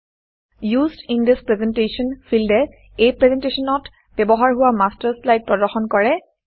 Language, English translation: Assamese, The Used in This Presentation field displays the Master slides used in this presentation